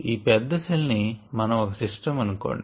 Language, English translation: Telugu, now let us consider this large cell as a system